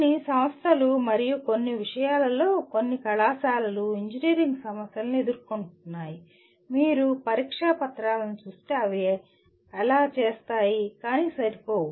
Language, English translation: Telugu, Some institutions and some colleges in some subjects they do pose engineering problems in the if you look at the examination papers, they do so but not adequate, okay